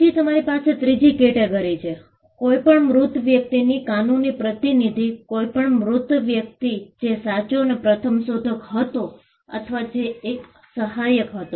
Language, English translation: Gujarati, Then you have the third category, the legal representative of any deceased person; any deceased person, who was the true and first inventor or who was an assignee